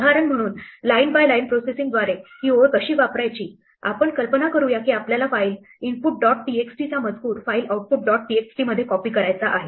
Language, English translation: Marathi, As an example, for how to use this line by line processing, let us imagine that we want to copy the contents of a file input dot txt to a file output dot txt